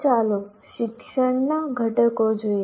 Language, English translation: Gujarati, Now let us look at components of teaching